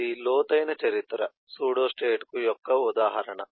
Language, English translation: Telugu, this is an example of deep history pseudostate